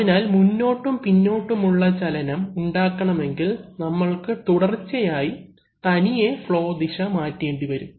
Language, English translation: Malayalam, So if you want to create back and forth motion then we have to continuously change the direction of flow automatically